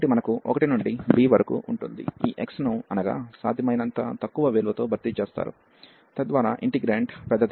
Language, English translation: Telugu, So, we have 1 to b and this x is replaced by 1 the lowest possible value, so that the integrant is the larger one